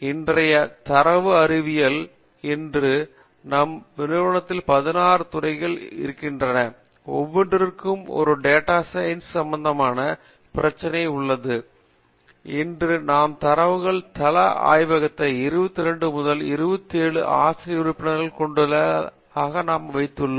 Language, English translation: Tamil, Data sciences today is formed between anywhere from, if we have 16 departments in our institution, every department has a data science related problem and that is proved that we have data science laboratory today which has 22 or 27 faculty members across all the 16 departments we have today, that is massive field that is one end